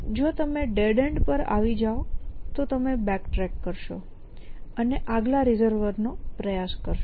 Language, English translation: Gujarati, And if you each at then your backtrack and try the next resolver